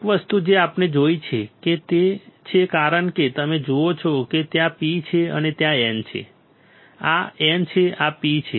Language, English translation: Gujarati, One thing what we see is since you see there is a P and there is a N right this is the N this is a P